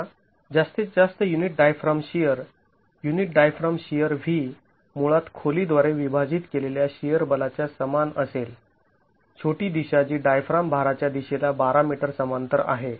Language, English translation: Marathi, Now the maximum unit diaphragm shear, unit diaphragm shear, v, small v, is basically going to be equal to the shear force divided by the depth, the shorter direction which is 12 meters parallel to the diaphragm loading direction